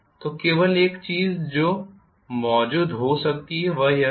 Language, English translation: Hindi, So, only thing that may be present is this